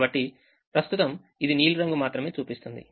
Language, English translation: Telugu, so right now it shows only the blue color